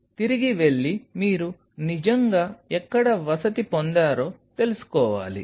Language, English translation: Telugu, So, have to go back and see where you really can you know accommodated